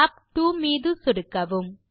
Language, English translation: Tamil, Click on tab 2